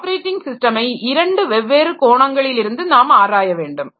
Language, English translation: Tamil, As I said, the operating system can be viewed from different angle